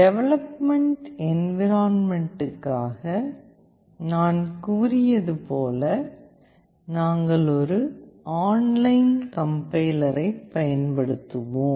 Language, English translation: Tamil, And as I had said for development environment we will be using an online complier that is mbed